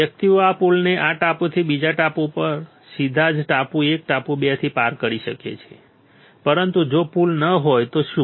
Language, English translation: Gujarati, The persons can cross this bridge from this island to the next island right from island 1 island 2 correct, but what if there is no bridge